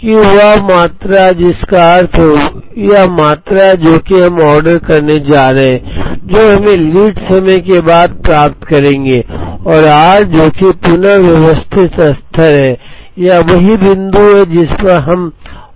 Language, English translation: Hindi, Q is the quantity which means this quantity that, we are going to order which we will get after a lead time and r which is the reorder level, which is the point at which we place the order